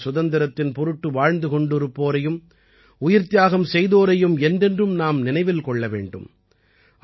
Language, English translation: Tamil, We should always remember those who laid down their lives for the freedom of the country